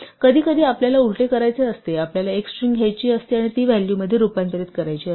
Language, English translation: Marathi, Sometimes we want to do the reverse we want to take a string and convert it to a value